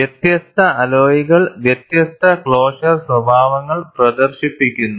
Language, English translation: Malayalam, Different alloys exhibit different closure behaviors